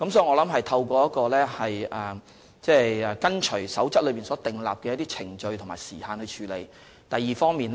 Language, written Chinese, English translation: Cantonese, 我認為當局按照《守則》所訂程序和時限處理各項申請。, In my view the authorities have handled the various applications according to the procedures and time frames specified in the Code